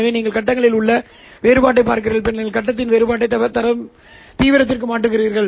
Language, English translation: Tamil, So you are looking at the difference in the faces and then converting the difference in the face into an intensity